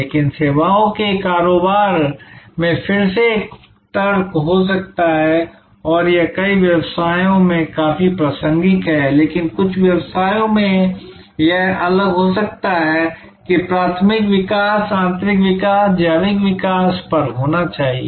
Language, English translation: Hindi, But, again in services business one can argue and this is quite relevant in many businesses, but could be different in some businesses that primary emphasis should be on internal growth, organic growth